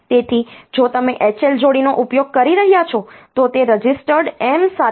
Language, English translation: Gujarati, So, the if you are using H L pair then it is with registered M